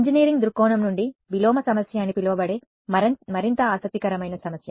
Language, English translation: Telugu, From an engineering point of view, the more interesting problem is what is called the inverse problem